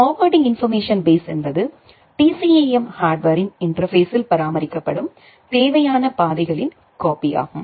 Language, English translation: Tamil, And forwarding information base is the copy of the required routes maintained at the interface of the TCAM hardware